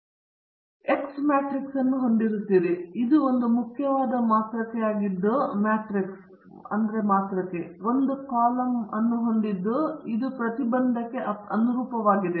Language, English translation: Kannada, Then you also have the X matrix, itÕs a very important matrix which is having a column of oneÕs this corresponds to the intercept